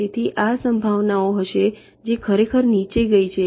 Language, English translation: Gujarati, so it will be this probability were actually go down